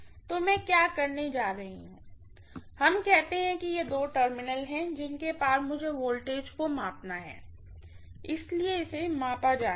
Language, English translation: Hindi, So what I am going to do is, let us say these are the two terminals across which I have to measure the voltage, so this is the V to V measured